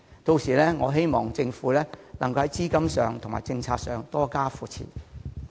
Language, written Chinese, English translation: Cantonese, 屆時，希望政府能在資金及政策方面多加扶持。, And I do hope that the Government will support the theme park in terms of capital injection and policy - making by then